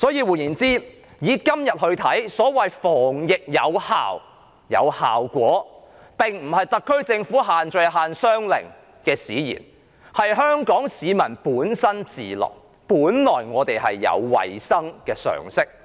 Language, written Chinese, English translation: Cantonese, 換言之，以今天而言，所謂"防疫有效果"，並非因為特區政府的限聚令或限商令使然，而是香港市民本身自律，是我們本身已有衞生常識。, In other words our effective prevention of the epidemic today cannot be ascribed to the social gathering or business restriction implemented by the SAR Government . Rather all is due to self - discipline on the part of Hong Kong people and also their inherent common sense about hygiene